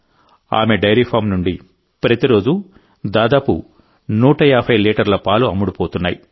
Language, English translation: Telugu, About 150 litres of milk is being sold every day from their dairy farm